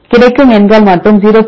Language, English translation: Tamil, You get the numbers and multiplied by 0